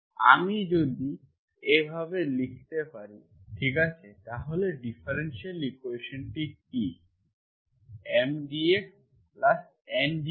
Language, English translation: Bengali, If I can write like this, okay and what is the differential equation, M dx plus N dy is equal to 0